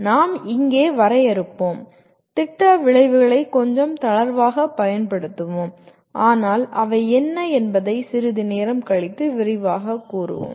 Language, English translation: Tamil, We will, here we define the, use the word program outcomes a little loosely but we will elaborate a little later what they are